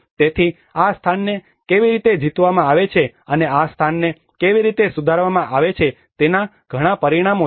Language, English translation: Gujarati, So there are many dimensions of how this place is conquered and how this place is modified